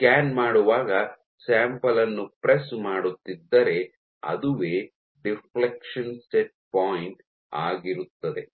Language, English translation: Kannada, So, you put a press on your sample while scanning and that is what the deflection set point is